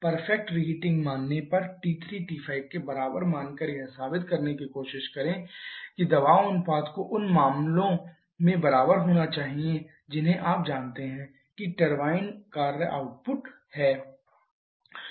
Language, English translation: Hindi, Assuming a perfect reheating that is T 3 equal to T 5 try to prove that the pressure ratio has to be equal in both cases you know to Maxima is the turbine work output